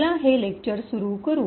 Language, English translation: Marathi, So, let us start this lecture